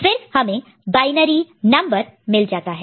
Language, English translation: Hindi, Now, that was binary to decimal